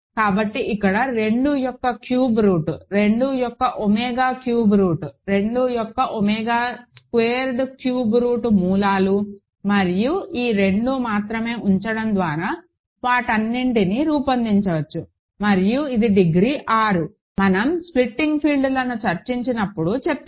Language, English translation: Telugu, So, here cube root of 2, omega cube root of 2, omega squared cube root of 2 are the roots and you can generate all of them by putting these 2 only and this is degree 6, I discussed when we discussed the splitting fields